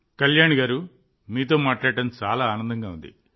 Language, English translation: Telugu, Well Kalyani ji, it was a pleasure to talk to you